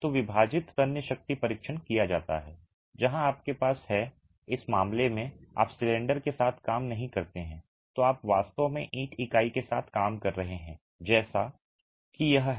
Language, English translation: Hindi, So, the split tensile strength test is carried out where you have, in this case you don't work with the cylinder, you are actually working with the brick unit as it is